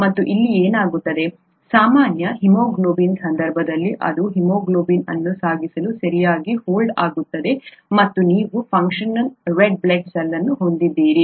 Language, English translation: Kannada, And that is what happens here, in the case of normal haemoglobin it folds properly to carry haemoglobin and you have a functional red blood cell